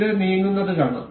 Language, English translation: Malayalam, You can see this moving